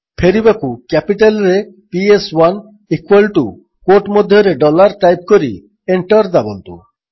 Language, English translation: Odia, To revert back, type: PS1 equal to dollar within quotes and press Enter